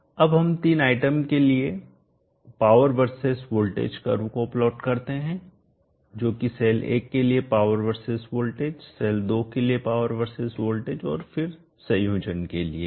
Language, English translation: Hindi, Now let us plot the power versus voltage curve for the three items which is power versus voltage for cell 1 power versus voltage for cell 2 and then for the combination